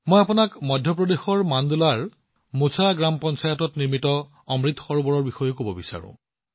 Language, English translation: Assamese, I also want to tell you about the Amrit Sarovar built in Mocha Gram Panchayat in Mandla, Madhya Pradesh